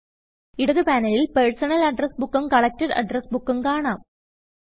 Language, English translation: Malayalam, In the left panel, you can see both the Personal and Collected Address Books